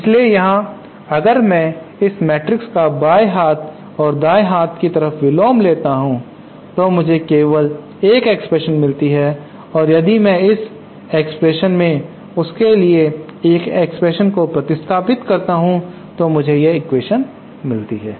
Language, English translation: Hindi, So here if I take the inverse of this matrix and both the left hand and right hand side then I get an expression only for I and if I substitute that expression for I in this equation then I get this equation